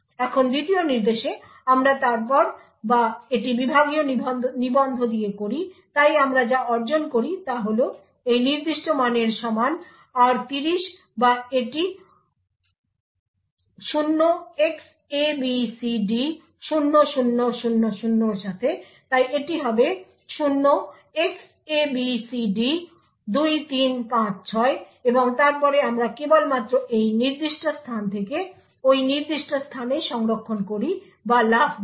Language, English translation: Bengali, Now in the second instruction we then or it with the segment register so what we achieve is r30 equal to this particular value and or it with 0xabcd0000 so this would be 0xabcd2356 and then we simply store or jump to that particular to this particular location